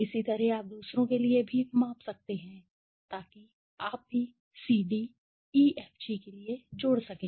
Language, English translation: Hindi, 192 similarly you can measure for others also so you can add up for CD, EFG